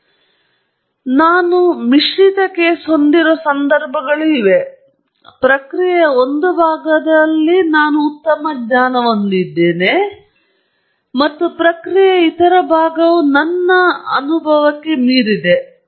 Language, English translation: Kannada, But there are situations where I have a mixed case where I have a fairly good knowledge of a part of the process and the other part of the process is beyond me